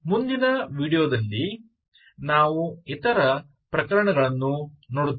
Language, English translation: Kannada, We will see the other cases in the next video